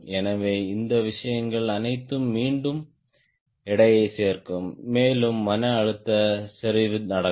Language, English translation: Tamil, so all this thing will again go on adding the weight and local stress concentration will happen